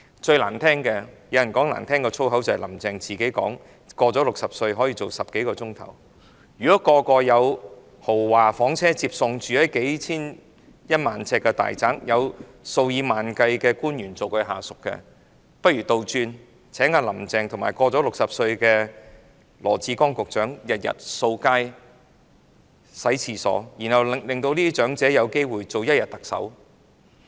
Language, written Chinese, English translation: Cantonese, 最難聽的是——有人說比粗言穢語更難聽——"林鄭"說自己"年過60歲仍每天工作10多小時"，如果人人有豪華房車接送，居於1萬平方呎的大宅，有數以萬計的官員作為下屬，不如倒過來，請"林鄭"與年過60歲的羅致光局長每天掃街、洗廁所，然後讓這些長者有機會做一天特首。, It is the most disgusting―some people said it is even more disgusting than foul language―for Carrie LAM to say that she herself works more than 10 hours every day even though she is over 60 years of age already . If everybody has luxury cars to pick them up lives in a spacious house with an area of 10 000 sq ft and is served by tens of thousands of officials as their subordinates or let us reverse their roles would Carrie LAM and Secretary Dr LAW Chi - kwong who is aged over 60 please go sweeping the streets and cleaning the toilets every day and let these elderly people have a chance to act as the Chief Executive for one day?